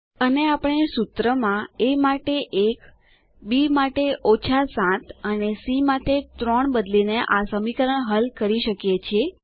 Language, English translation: Gujarati, And we can solve the equation by substituting 1 for a, 7 for b, and 3 for c in the formula